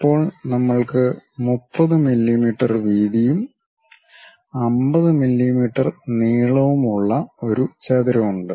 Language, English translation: Malayalam, Now, we have a rectangle of size 30 mm in width and 50 mm in length